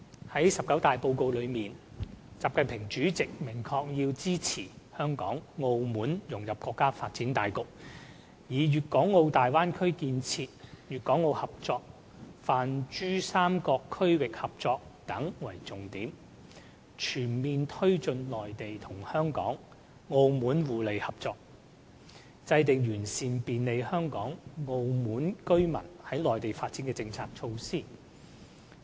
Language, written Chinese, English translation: Cantonese, 在十九大報告中，習近平主席明確提出"要支持香港、澳門融入國家發展大局，以粵港澳大灣區建設、粵港澳合作、泛珠三角區域合作等為重點，全面推進內地與香港、澳門互利合作，制定完善便利香港、澳門居民在內地發展的政策措施"。, The report which President XI Jinping delivered at the 19 National Congress of the Chinese Communist Party makes these objectives very clear to assist Hong Kong and Macao in fitting into the countrys overall scheme of development; to make all - out efforts to foster Mainland - Hong Kong - Macao cooperation and their common benefits mainly through Bay Area development Guangdong - Hong Kong - Macao cooperation and regional cooperation in the Pan - Pearl River Delta; and to formulate and improve policies and measures on facilitating the development of Hong Kong and Macao residents in the Mainland